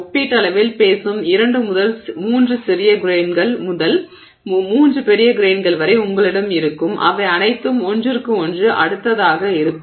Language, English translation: Tamil, You will have like two three small grains, two three big grains, relatively speaking and they're all going to be next to each other